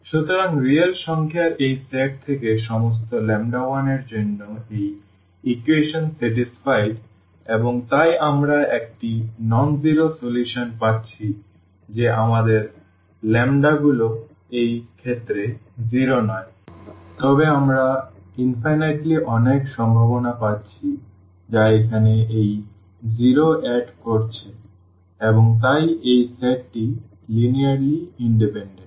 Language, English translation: Bengali, So, for all lambda 1 from this set of real numbers this equation is satisfied and therefore, we are getting a nonzero solution that our lambdas are not zero in this case, but they are we are getting infinitely many possibilities it is which are adding to this zero here and therefore, this set is linearly dependent